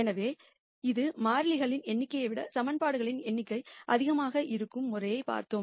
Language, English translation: Tamil, So, that finishes the case where the number of equations are more than the number of variables